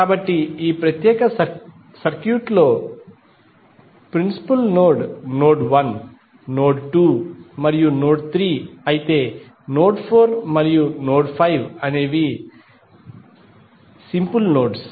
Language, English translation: Telugu, So, in this particular circuit principal node would be node 1, node 2 and node 3 while node 4 and node 5 are the simple nodes